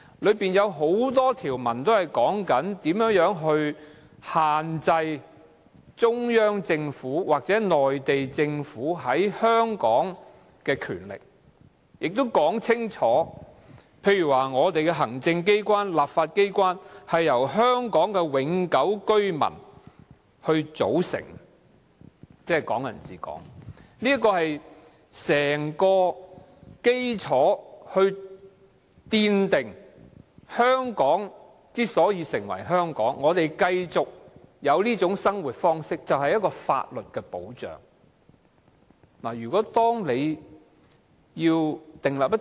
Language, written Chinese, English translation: Cantonese, 《基本法》中有很多條文也訂明如何限制中央政府或內地政府在香港的權力，例如香港的行政機關和立法機關由香港永久性居民組成，即"港人治港"，這是奠定香港之所以成為香港的基礎，我們有法律保障繼續享有這種生活方式。, There are many provisions in the Basic Law that limit the powers of the Central Government or Mainland Government in Hong Kong . For instance the executive authorities and legislature of the Hong Kong Special Administrative Region shall be composed of permanent residents of Hong Kong that is Hong Kong people ruling Hong Kong . This is the foundation of Hong Kong as it is